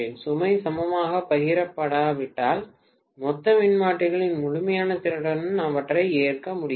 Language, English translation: Tamil, If the load is shared not equally, then I will not be able to load them to the fullest capacity of the total transformers put together